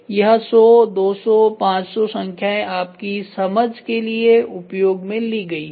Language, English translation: Hindi, This 100, 200, 500 are not a numbers these adjust for your understanding